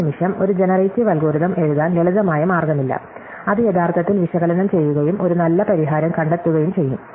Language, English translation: Malayalam, So, once again, there is no simple way to write a generative algorithm which will actually analyze this and find a good solution